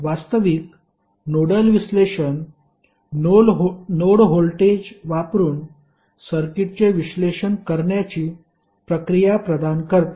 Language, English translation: Marathi, Actually, nodal analysis provides a procedure for analyzing circuit using node voltage